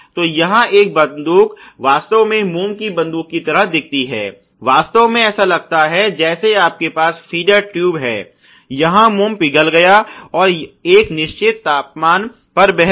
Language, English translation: Hindi, So, this is how a gun really looks like a wax gun really looks like you have a feeder tube, where the waxes melted and flown at a certain temperature